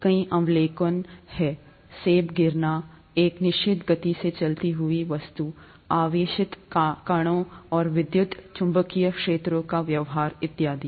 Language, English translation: Hindi, Lot of observations, apple falling, object moving at a certain speed, behaviour of charged particles and electromagnetic fields, and so on